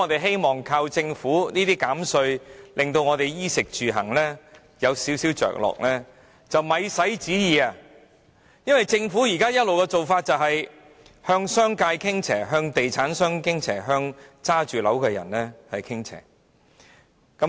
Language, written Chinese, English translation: Cantonese, 想靠政府減稅來稍為改善衣食住行，是想也不用想，因為政府政策一直以來都是向商界、地產商及物業擁有人傾斜。, It would be wishful thinking to expect the Governments tax cuts to bring about any improvement in peoples daily lives in respect of clothing food accommodation and transport for the Governments policies have all along been biased towards the business sector real estate developers and property owners